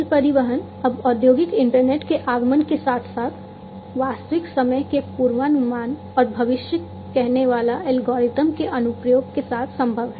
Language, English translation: Hindi, Rail transportation it is now possible with the advent of the industrial internet to have real time analytics and application of predictive algorithms